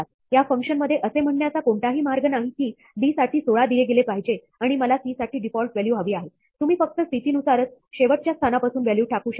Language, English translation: Marathi, There is no way in this function to say that, 16 should be given for d, and I want the default value for c; you can only drop values by position from the end